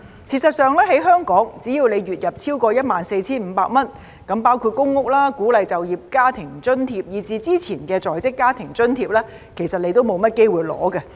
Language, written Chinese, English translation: Cantonese, 事實上，在香港，只要你月入超過 14,500 元，那麼包括公屋、鼓勵就業家庭津貼，以至之前的在職家庭津貼其實你都沒有機會領取。, In fact in Hong Kong so far as you make a monthly income exceeding 14,500 then you do not have the chance to be provided with public rental housing work incentive subsidies and even the Working Family Allowance introduced some time ago